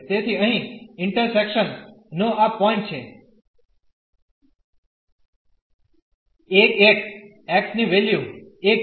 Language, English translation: Gujarati, So, this point of intersection here is 1 1 the value of x is 1